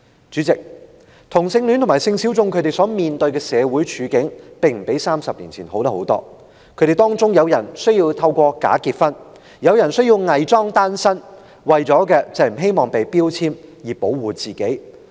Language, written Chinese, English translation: Cantonese, 主席，同性戀者和性小眾所面對的處境，其實並不比30年前好了多少，當中有人需要假結婚或偽裝單身，目的是希望保護自己不被人標籤。, President the circumstances of homosexual people and sexual minorities are not much better than those of 30 years ago . Some of them have to resort to bogus marriage or fake celibacy in hopes of protecting themselves from being labelled